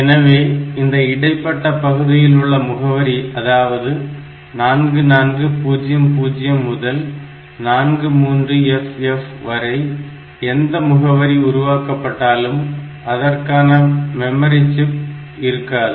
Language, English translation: Tamil, So, this part any address generated between these 2 that is 4400 to 43FF, so, in that range whatever address is generated, there is no memory chip here